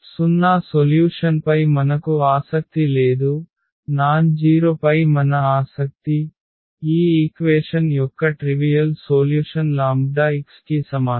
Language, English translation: Telugu, So, we are not interested in the 0 solution, our interested in nonzero solution; meaning the non trivial solution of this equation Ax is equal to lambda x